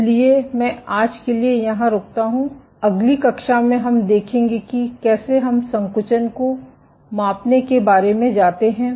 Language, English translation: Hindi, So, I stop here for today in the next class we will see how do we go about measuring contractility